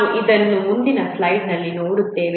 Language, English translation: Kannada, We will look at this in the next slide